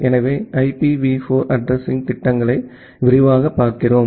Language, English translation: Tamil, So, we are looking into the IPv4 Addressing schemes in details